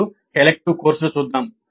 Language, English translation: Telugu, Now let us look at the elective courses